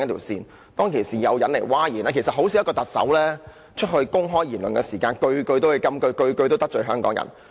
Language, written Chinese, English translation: Cantonese, 事實上，一名特首發表的公開言論，很少每一句也是金句，每一句也得罪香港人。, In fact it is very rare that the public remarks made by a Chief Executive will all turned into sound bites and anger Hong Kong people